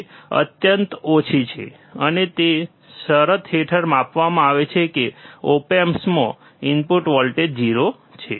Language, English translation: Gujarati, It is extremely small um, and it is measured under a condition that input voltage to the op amp is 0, right